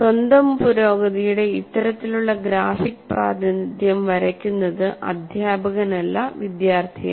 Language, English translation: Malayalam, This kind of graphic representation of one's own progress is drawn by the student, not by the teacher